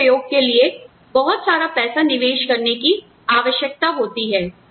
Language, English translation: Hindi, You may need to invest a lot of money, in experimentation